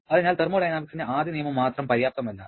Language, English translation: Malayalam, Therefore, first law of thermodynamics alone is not sufficient